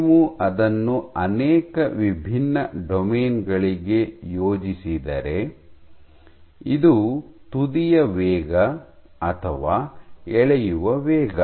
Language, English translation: Kannada, So, if you plot it for multiple different domains, this is tip speed or pulling rate